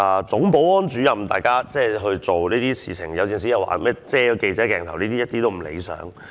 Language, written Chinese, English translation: Cantonese, 總保安主任有時在執行工作期間會遮擋記者鏡頭，這都是不理想的。, It is also disagreeable to see the Chief Security Officer blocking the view of the journalists cameras at times while performing his duty